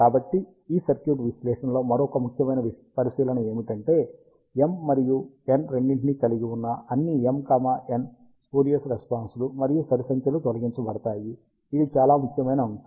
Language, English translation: Telugu, So, another important observation in this circuit analysis is that, all the m, n, spurious responses with both m and n as even numbers are eliminated, which is the very important factor